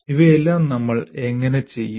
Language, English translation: Malayalam, How do we do all this